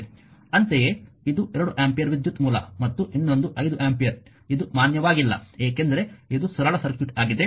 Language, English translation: Kannada, Similarly, this 1 2 ampere currents source and another 5 ampere in the same it is not valid because it is a simple circuit